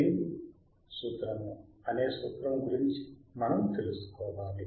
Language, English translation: Telugu, and wWe should know a law called Lenz’s law; Lenz’s law